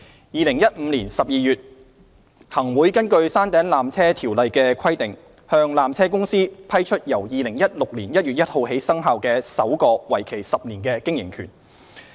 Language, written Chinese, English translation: Cantonese, 2015年12月，行政長官會同行政會議根據《山頂纜車條例》的規定，向山頂纜車有限公司批出由2016年1月1日起生效的首個為期10年的經營權。, In December 2015 the Chief Executive in Council approved under the Peak Tramway Ordinance PTO the grant of the first 10 - year operating right of the peak tramway to Peak Tramways Company Limited PTC commencing on 1 January 2016